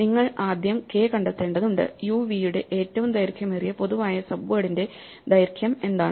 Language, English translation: Malayalam, You first need to just find k, what is the length of the longest common subword of u n